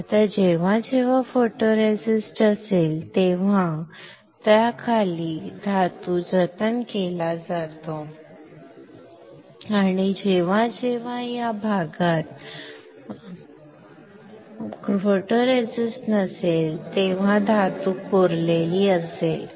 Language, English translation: Marathi, Now whenever the photoresist is there the metal below it is saved, and whenever photoresist is not there like in this area the metal will get etched